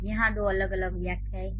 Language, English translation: Hindi, So there there are two different interpretations here